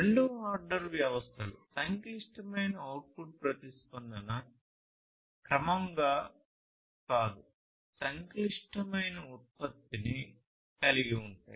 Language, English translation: Telugu, Second order systems will have complex output response not gradually, but a complex output response